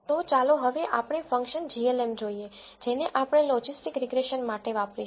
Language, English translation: Gujarati, So, now let us look at the function glm which we are going to use for logistic regression